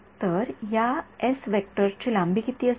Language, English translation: Marathi, So, what will be the length of this s vector